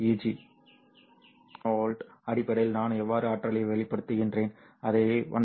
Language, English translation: Tamil, So how do you express energy in terms of electron volt